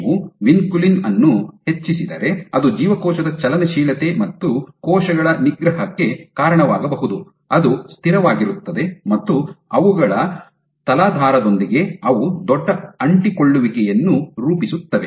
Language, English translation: Kannada, So, if you increase vinculin that should lead to suppression of cell motility versus cells will become steady and they will form bigger adhesions with their substrate